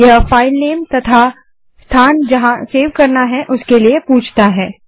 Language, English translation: Hindi, It asks for filename and location in which the file has to be saved